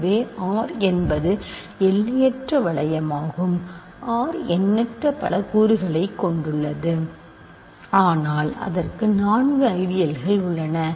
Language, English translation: Tamil, So, R is an infinite ring of course, R has infinitely many elements, but it has four ideals